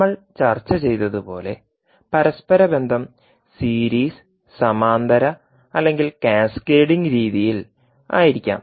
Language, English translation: Malayalam, As we discussed that interconnection can be either in series, parallel or in cascaded format